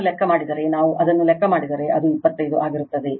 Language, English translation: Kannada, If you calculate it right, so just if we calculate it, it will be 25